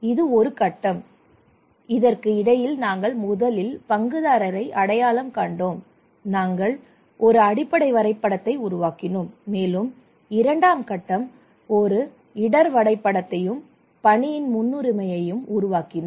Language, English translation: Tamil, That was the phase one and that we first identified the stakeholder and we developed a base map and also Phase two we developed a risk mapping and prioritisation of work